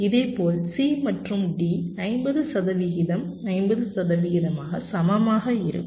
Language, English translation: Tamil, similarly, c and d will be equal, fifty percent, fifty percent, alright